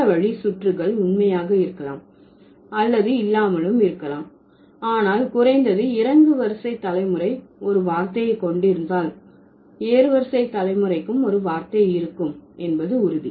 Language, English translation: Tamil, The other way around may or may not true, but at least having a word for descending ensures that there would be a word for the ascending generation too